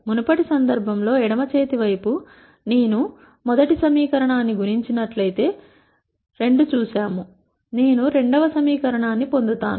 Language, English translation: Telugu, In the previous case we saw that the left hand side, if I multiply the first equation by 2, I get the second equation